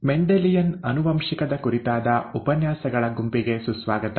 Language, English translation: Kannada, Welcome to the set of lectures on ‘Mendelian Genetics’